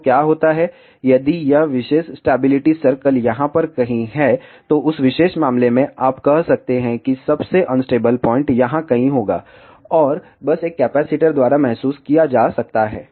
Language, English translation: Hindi, So, what happens, if this particular stability circle is somewhere over here, then in that particular case you can say that the most unstable point will be somewhere here and that can be realized by simply a capacitor